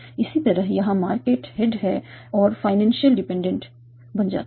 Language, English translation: Hindi, Similarly here markets is the head and financial becomes a dependent